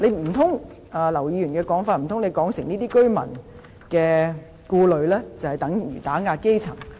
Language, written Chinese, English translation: Cantonese, 按照劉議員的說法，難道她是指這些居民的顧慮就等於打壓基層？, If we look at Dr LAUs comments does she mean that such concerns are tantamount to suppression of the grass roots?